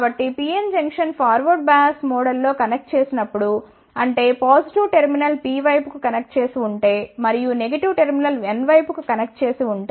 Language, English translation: Telugu, So, when the PN Junction is connected in forward bias mode; that means, if the positive terminal is connected to the P side, and the negative terminal is connected to the N side